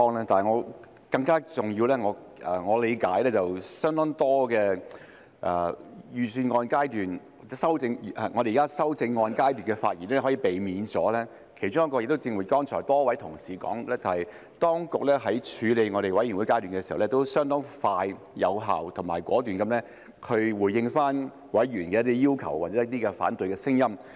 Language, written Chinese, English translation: Cantonese, 但更重要的是，據我理解，我們現時在修正案階段可以避免相當多的發言，其中一原因就是正如剛才多位同事提到，當局在法案委員會階段時，也相當快、有效及果斷地回應了委員的一些要求或反對聲音。, But more importantly according to my understanding one of the reasons why we can now avoid giving a bunch of speeches at the amendment stage is that the authorities have responded to some of the requests or opposition views raised by members at the Bills Committee stage in a very quick effective and decisive manner as mentioned by many colleagues just now